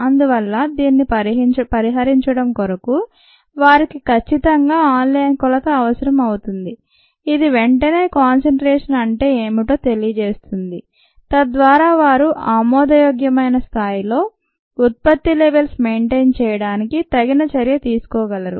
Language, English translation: Telugu, so to avoid that, they definitely needed an online measurement which would immediately tell them what their concentration was so that they could take a appropriate action to maintain the product levels at ah acceptable levels